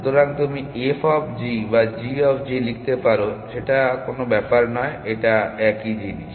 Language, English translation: Bengali, So, you can write f of g or g of g does not matter, it is a same thing